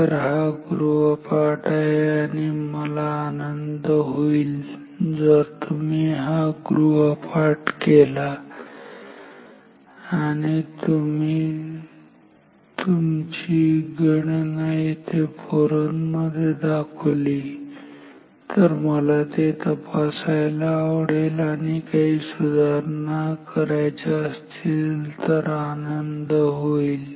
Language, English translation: Marathi, So, that is a homework and I will be very happy if you do this homework you can share your result your calculation in the forum will be happy to check that and correct that if required